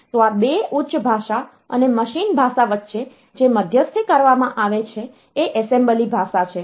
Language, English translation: Gujarati, So, what is done an intermediary to these 2 the high level and the machine language is the assembly language